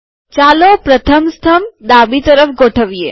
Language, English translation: Gujarati, Let us make the first column left aligned